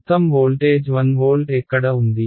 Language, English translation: Telugu, Where all is the voltage one volt